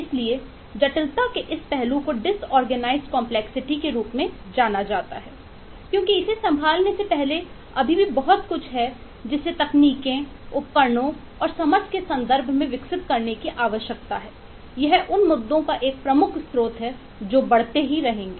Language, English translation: Hindi, so this aspect of complexity is known as a or is characterized as a disorganized complexity, because there is still a lot that needs to be developed in terms of techniques, tools and understanding before we can handle this more, and this is one of the major source of eh issues that will continue to progress